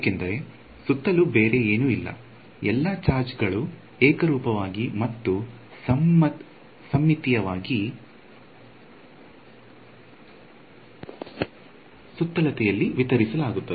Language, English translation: Kannada, Because, there is nothing else around, all the charge will be uniformly and symmetrically distributed about the circumference